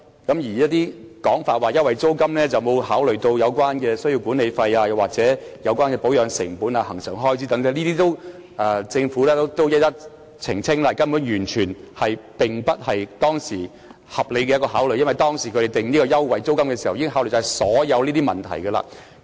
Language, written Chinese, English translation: Cantonese, 有說法指優惠租金沒有考慮到管理費、保養成本、恆常開支等，政府已經一一澄清，這說法根本完全不合理，因為他們訂定優惠租金時，已曾考慮這些問題。, It has been alleged that the rental concessions did not take the management fees maintenance costs regular expenses etc . into account . The Government has already clarified them one by one